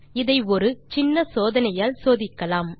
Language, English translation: Tamil, To check that lets do a small experiment